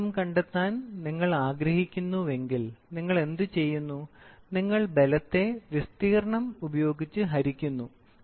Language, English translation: Malayalam, If you want to find out for pressure, what you do I took force and then I divide it by area, right